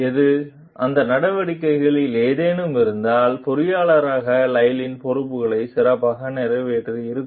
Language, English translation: Tamil, Which, if any, of those actions would have better fulfilled Lyle s responsibilities as engineer